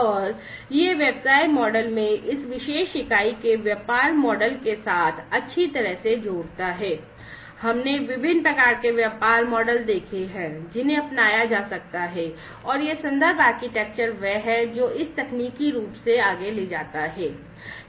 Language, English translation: Hindi, And this connects well with the business model of this particular unit in the business model, we have seen the different types of business models that could be adopted and this reference architecture is the one which takes it further technically